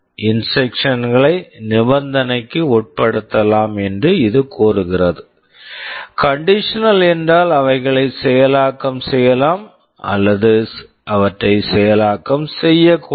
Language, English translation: Tamil, This says that the instructions can be made conditional; conditional means they may either execute or they may not execute